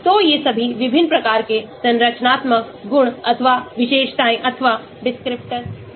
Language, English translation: Hindi, so all these are different types of structural properties or features or descriptors